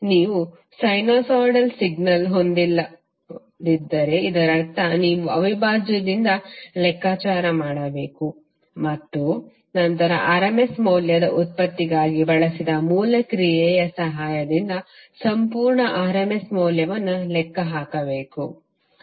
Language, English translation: Kannada, If you do not have sinusoid signal it means that you have to compute from the integral and then calculate the complete rms value with the help of the original function which we just used for derivation of rms value